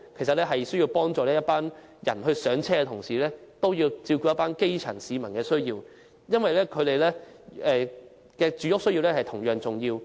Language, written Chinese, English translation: Cantonese, 政府在幫助這些市民"上車"的同時，也要照顧基層市民的需要，因為他們的住屋需要同樣重要。, While assisting these people in purchasing their first homes the Government should also meet the needs of the grass roots because their housing needs are equally important